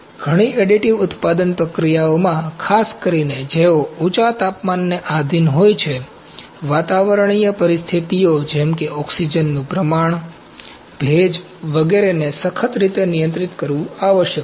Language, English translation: Gujarati, In many additive manufacturing processes especially, those subjected to a high temperature, atmospheric conditions such as oxygen content, humidity etc